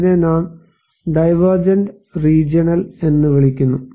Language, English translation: Malayalam, And this is we call divergent region